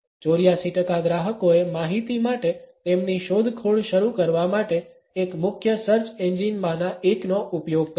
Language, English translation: Gujarati, 84 percent of the customers used one of the major search engines to begin their exploration for information